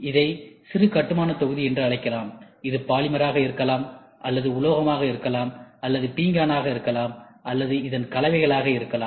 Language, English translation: Tamil, These material are nothing but building blocks, this can be polymer, this can be metal, this can be ceramic or you can also have combination of whatever you want